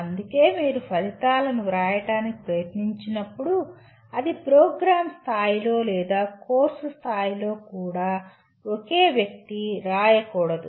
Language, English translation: Telugu, That is why when you try to write the outcomes it should not be ever written by a single person even at the program level or at the course level